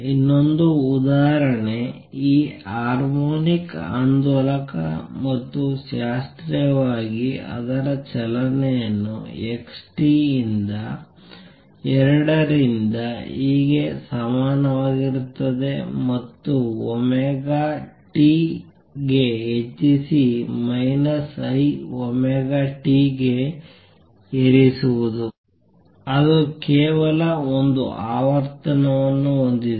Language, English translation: Kannada, Now, let us take the other example the other example is this harmonic oscillator and classically its motion is given by x t equals a by 2 e raise to i omega t plus e raise to minus i omega t that is it has only one frequency